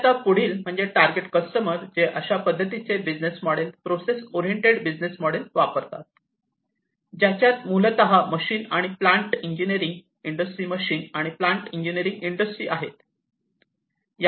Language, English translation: Marathi, And the next one is the target customers for use of this kind of business model the process oriented business model are basically the machines and the plant engineering industry, machine and plant engineering industry